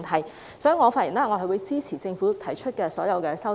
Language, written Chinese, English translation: Cantonese, 因此，我的發言是支持政府提出的所有修正案。, Hence I speak in support of all the amendments proposed by the Government